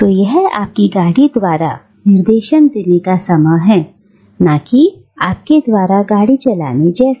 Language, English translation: Hindi, So, it is like automobile directing your movement rather than you directing the movement of your car